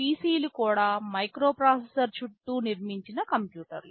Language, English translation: Telugu, PC’s are also computers built around a microprocessor